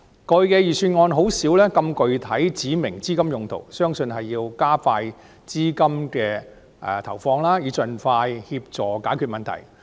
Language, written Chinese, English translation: Cantonese, 過去的預算案很少指明資金用途，相信此舉是為了加快投放資源，以助盡快解決問題。, Previous Budgets rarely designated the use of funds . I believe the move this year aims at accelerating the allocation of resources to help solve the problems expeditiously